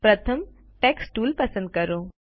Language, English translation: Gujarati, First, lets select the Text tool